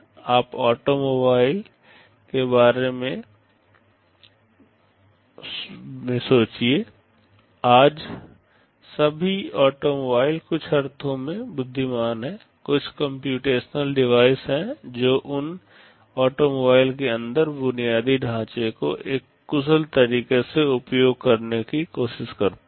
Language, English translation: Hindi, You think of automobiles; today all automobiles are intelligent in some sense, there are some computational devices that try to utilize the infrastructure inside those automobiles in an efficient way